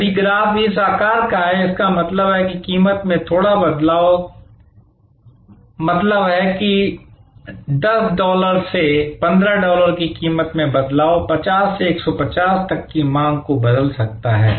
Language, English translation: Hindi, If the graph is of this shape; that means, a little change in price can make that means, is 10 dollars to 15 dollars change in price, can change the demand from 50 to 150